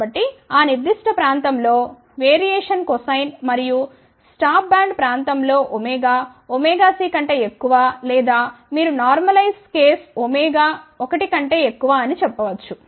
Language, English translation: Telugu, So, in that particular region the variation is cosine, ok and in the region of stop band which is for omega greater than omega c or you can say normalize case omega greater than 1